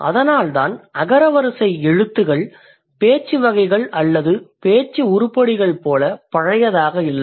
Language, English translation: Tamil, That is why the alphabets are not like the alphabet are not as old as the speech categories or the speech items